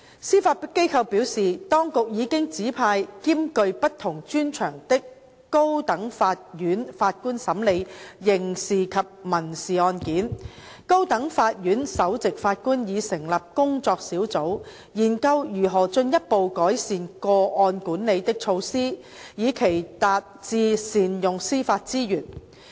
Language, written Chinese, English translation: Cantonese, 司法機構表示，當局已經指派兼具不同專長的高等法院法官審理刑事及民事案件，高等法院首席法官已成立工作小組研究如何進一步改善個案管理的措施，以期達致善用司法資源。, The Judiciary indicated that in the High Court Judges with mixed expertise are already assigned both criminal and civil cases and the Chief Judge of the High Court has set up a working group to look into measures to further improve case management with a view to achieving better use of judiciary resources